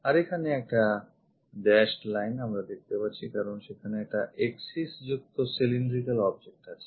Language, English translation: Bengali, So, a dashed line we have it because, it is a cylindrical object there is an axis